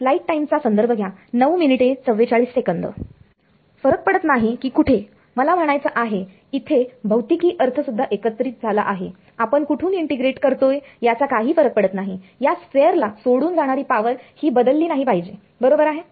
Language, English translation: Marathi, No matter where what I mean this is also mixed physical sense no matter where I integrate from, the power leaving this sphere should not change right